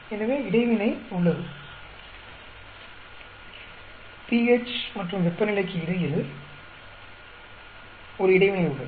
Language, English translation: Tamil, So, there is an interaction between pH and temperature